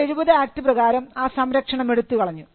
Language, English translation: Malayalam, Now, this was removed by the 1970 act